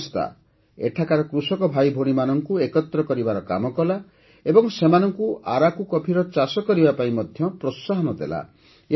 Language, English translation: Odia, It brought together the farmer brothers and sisters here and encouraged them to cultivate Araku coffee